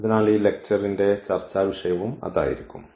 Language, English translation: Malayalam, So, that will be the also topic of discussion of this lecture